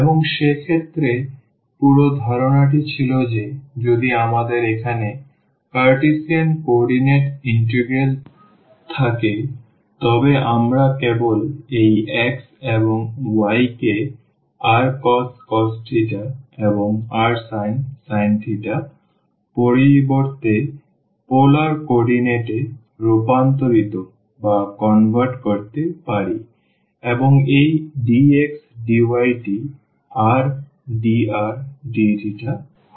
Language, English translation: Bengali, And in that case the whole idea was that if we have the integral here in the Cartesian coordinate, we can convert into the polar coordinate by just substituting this x and y to r cos theta and r sin theta and this dx dy will become the r dr d theta